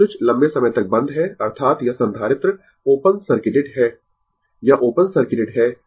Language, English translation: Hindi, Now, switch is closed for long time; that mean this capacitor is open circuited, right